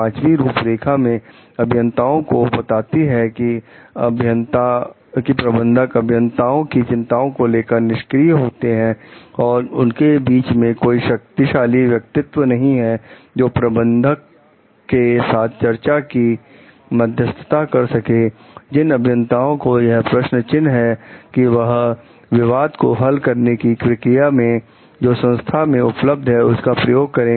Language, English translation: Hindi, The fifth, the guidelines advise engineers that if managers are unresponsive to engineers concern and there is no powerful figure who is able to mediate discussion with their managers, the engineers in question should make use of any organization dispute resolution mechanism available